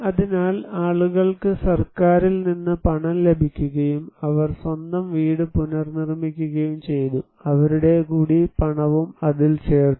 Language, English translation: Malayalam, So, people receive money from the government and they reconstructed their own house, they also added money into it